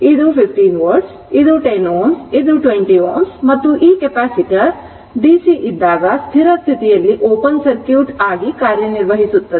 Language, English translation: Kannada, This is your 15 volts, this is 10 ohm this is your 20 ohm and this capacitor is acting as open circuit at steady state to the DC